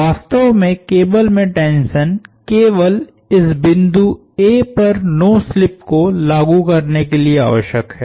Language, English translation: Hindi, In fact, the tension in the cable is only needed to enforce no slip at this point A